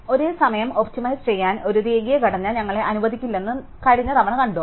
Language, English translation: Malayalam, So, we saw last time that a linear structure will not allow us to simultaneously optimize these two